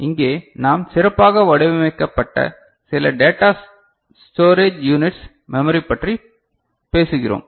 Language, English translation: Tamil, And here we are talking about some specially designed data storage units as memory